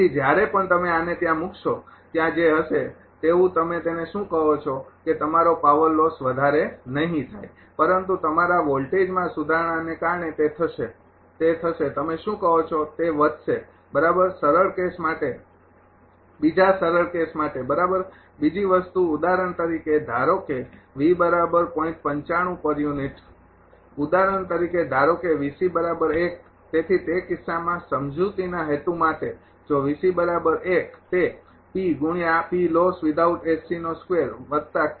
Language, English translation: Gujarati, So, whenever whenever you put this one whatever whatever will be there that your what you call that your ah power loss will do not much, but because of the improvement of the your ah voltage it will ah it will what you call it will increase for ah right for a for for a simple case another for a simple case right ah another thing for example, suppose V is equal to you have taken 0